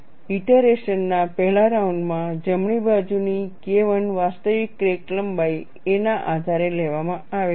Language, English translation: Gujarati, In the first round of iteration, K 1 on the right hand side is taken based on the actual crack length a